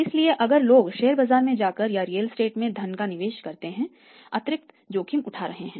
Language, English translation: Hindi, So, if people are taking additional risk by going to stock market or by investing the funds in the real estate